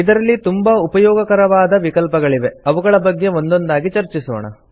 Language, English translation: Kannada, It has useful options which we will discuss one by one